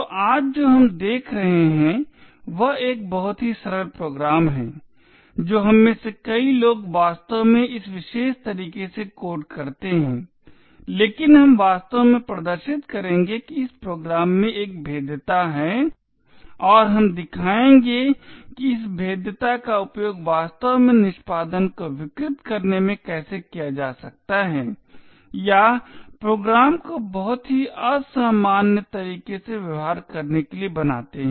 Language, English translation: Hindi, So what we will be seeing today is a very simple program which many of us actually code in this particular way but we will actually demonstrate that there is a vulnerability in this program and we will show how this vulnerability can be used to actually subvert execution or make the program behave in a very abnormal way